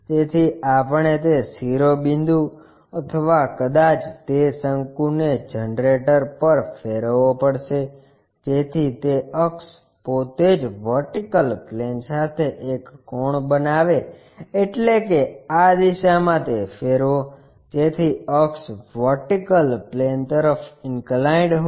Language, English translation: Gujarati, So, we have to rotate that apex or perhaps that cone on the generator, so that axis itself makes an inclination angle with the vertical plane, that means, rotate that in this direction, so that axis is inclined to vertical plane